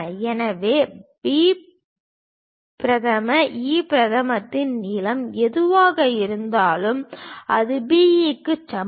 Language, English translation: Tamil, So, whatever the length of B prime, E prime, that is same as B E